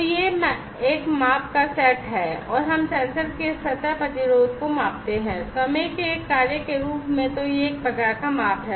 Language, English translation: Hindi, So, that is one set of measurement and we measure the surface resistance of the sensor, as a function of time so this is one type of measurement